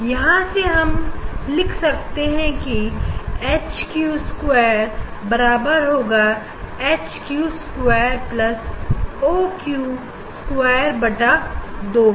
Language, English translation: Hindi, from here you can write HQ square HQ square equal to HQ dash square plus O Q dash square from here we can find out O, Q dash equal to a square by 2 a